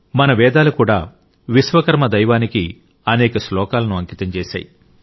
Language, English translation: Telugu, Our Vedas have also dedicated many sookta to Bhagwan Vishwakarma